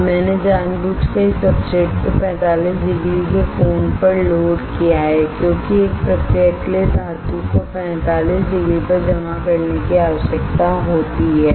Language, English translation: Hindi, Now I have deliberately loaded this substrate at 45 degree angle, because one process needed the metal to get deposited at 45 degree